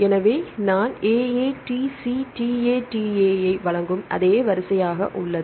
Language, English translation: Tamil, So, the same sequence I give AATCTATA, this is second one AAGATA